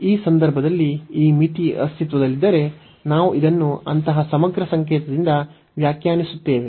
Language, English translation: Kannada, And in that case if this limit exist, we define this by such integral notation